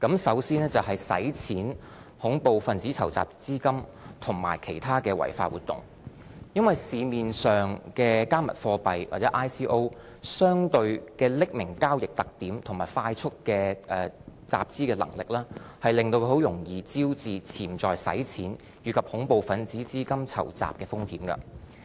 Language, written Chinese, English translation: Cantonese, 首先，是洗錢、恐怖分子籌集資金和其他的違法活動，因為市面上的"加密貨幣"或 ICO 的匿名交易特點和快速的集資能力，令它很容易招致潛在洗錢，以及恐怖分子籌集資金的風險。, First there are risks associated with money laundering terrorism financing or other criminal activities . Cryptocurrencies and ICOs on the market are susceptible to money laundering and terrorism financing risks due to the relatively anonymous nature of the transactions and the ease with which large sums of monies may be raised in a short period of time